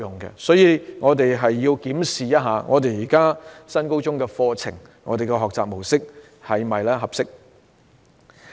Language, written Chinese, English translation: Cantonese, 因此，我們必須檢視現時的新高中課程和學習模式是否合適。, Therefore we must examine the appropriateness of the existing NSS curriculum and mode of learning